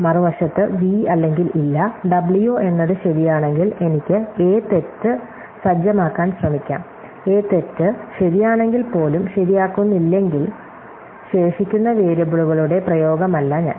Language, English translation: Malayalam, On the other hand, if v or not w is true, then I can effort to set a false, if a is false not even become true, then I am no application of the remaining variables